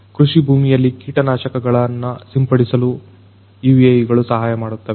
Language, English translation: Kannada, UAVs in agriculture could help you in spraying of pesticides in the agricultural field